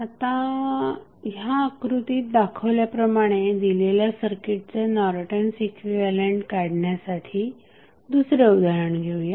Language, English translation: Marathi, So, now let us see another example where you need to find out the Norton's equivalent for the circuit given in the figure